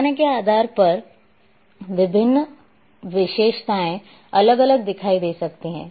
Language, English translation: Hindi, So, depending on the scale different features may appear differently